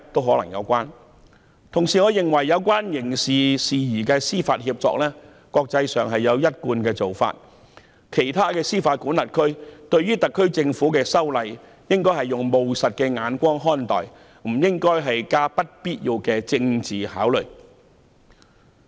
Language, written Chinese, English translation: Cantonese, 我亦認為，國際間就有關刑事事宜司法協定有一貫做法，其他司法管轄區應以務實的眼光看待特區政府修例，不應加上不必要的政治考慮。, I also think that there is a consistent practice in the international arena about judicial agreements on criminal matters . Other jurisdictions should have a pragmatic view of the HKSAR Governments legislative amendments and they should not have unnecessary political considerations